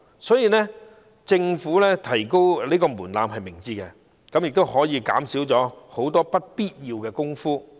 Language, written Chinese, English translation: Cantonese, 所以，政府提高有關門檻是明智的，可以減少很多不必要的工作。, Therefore it is wise for the Government to raise the relevant threshold so as to reduce a lot of unnecessary work